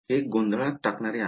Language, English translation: Marathi, Is this something confusing